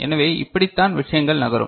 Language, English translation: Tamil, So, this is the way things will move, right